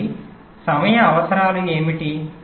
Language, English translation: Telugu, so what are the timing requirements